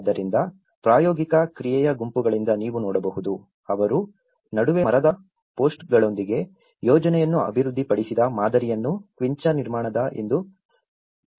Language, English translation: Kannada, So, what you can see is from the practical action groups, the model they developed the plan with the timber posts in between and they have this is called quincha construction